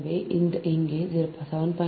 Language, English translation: Tamil, so this two